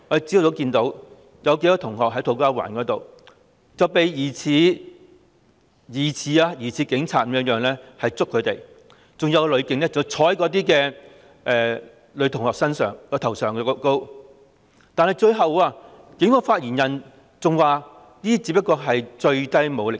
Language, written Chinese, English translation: Cantonese, 昨天早上，我們看到土瓜灣有數名學生遭疑似是警員的人士捉拿，更有女警坐在女學生的頭上，但最後警方發言人表示這只是最低武力。, Yesterday morning we saw several students arrested in To Kwa Wan by persons suspected to be police officers and we saw one policewoman sitting on the head of a girl student . But subsequently a police spokesman said it was the minimum force employed